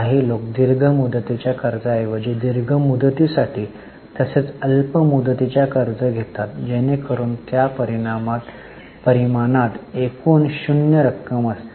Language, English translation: Marathi, Some people instead of long term borrowing take long term plus short term borrowing that is total borrowing in the numerator even in that case the amount is zero